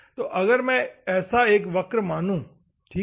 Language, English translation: Hindi, So, I assume a curve like this, ok